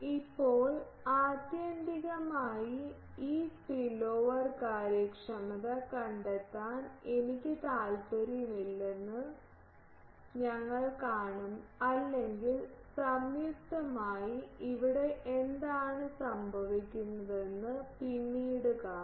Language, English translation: Malayalam, Now, ultimately we will see that I am not interested to find simply this spillover efficiency or it is we will later see that jointly what happens here